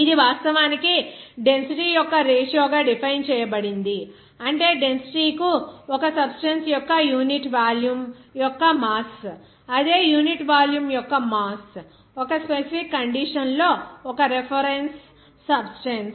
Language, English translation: Telugu, This is actually defined as the ratio of the density, that is mass of unit volume, of a substance to the density, that is mass of the same unit volume, of a reference substance at a specific condition